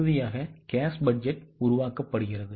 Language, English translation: Tamil, This is how cash budget is to be prepared